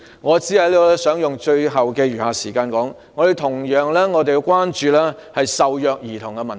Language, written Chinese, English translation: Cantonese, 我想利用僅餘的時間指出，我們必須同樣關注受虐兒童的問題。, I would like to point out in the remaining time that we should also attach importance to the issue concerning abused children